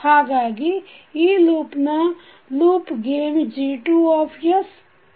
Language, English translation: Kannada, So the loop gain of this loop will be G2s into H1s